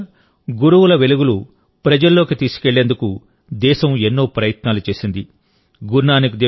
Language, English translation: Telugu, In the last few years, the country has made many efforts to spread the light of Gurus to the masses